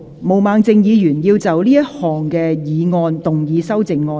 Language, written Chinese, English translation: Cantonese, 毛孟靜議員要就這項議案動議修正案。, Ms Claudia MO will move an amendment to this motion